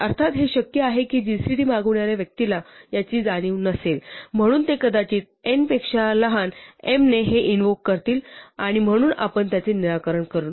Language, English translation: Marathi, Of course, it is possible that the person who invokes gcd does not realize this, so they might invoke it with m smaller than n and so we fix it